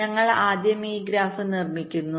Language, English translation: Malayalam, we first construct this graph